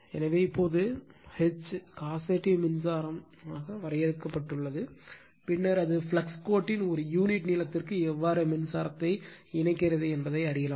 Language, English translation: Tamil, So, now H defined as the causative current, we will come to come later what is causative current, per unit length of the flux line you are enclosing the current right